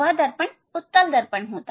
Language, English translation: Hindi, that mirror also it is convex mirror